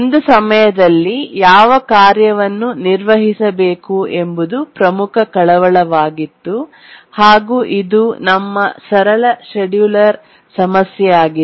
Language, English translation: Kannada, We were worried which tasks should run at one time and that was our simple scheduling problem